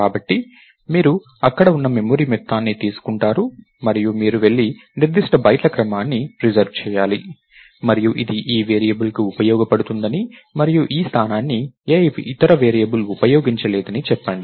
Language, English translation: Telugu, So, you take the amount of memory that is there and you go and reserve a certain sequence of bytes and say that this is useful for this variable and no other variable can use this ah